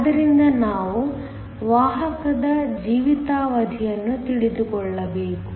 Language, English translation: Kannada, So, we need to know the carrier lifetimes